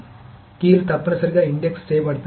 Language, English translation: Telugu, So the keys are necessarily indexed